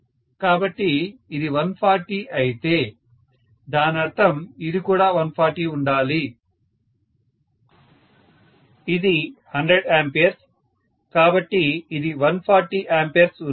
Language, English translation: Telugu, So, if this is 140 that means this also has to be 140, this is 100 ampere, so this has to be 40 amperes